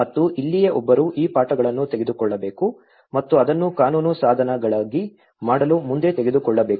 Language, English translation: Kannada, And this is where one has to take these lessons and take it further to make it into a legal instruments